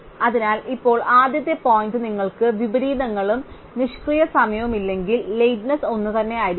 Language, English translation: Malayalam, So, now the first point is that if you have no inversions and no idle time, then the lateness must be the same